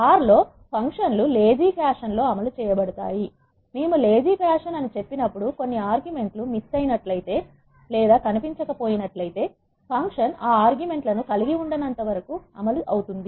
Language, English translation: Telugu, In R the functions are executed in a lazy fashion, when we say lazy what it mean is if some arguments are missing the function is still executed as long as the execution does not involve those arguments